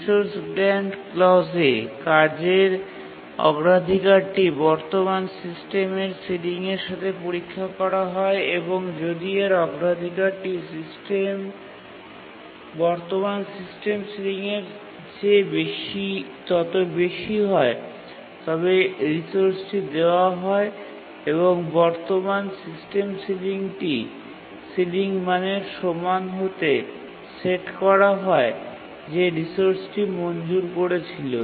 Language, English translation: Bengali, In the resource grant clause, the task's priority is checked with the current system sealing and if its priority is greater than the current system ceiling then it is granted the resource and the current system sealing is set to be equal to the ceiling value of the resource that was granted